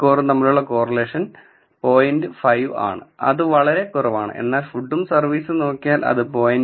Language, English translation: Malayalam, 5 which is pretty low, but whereas, if you look at food and service it is almost equal to 0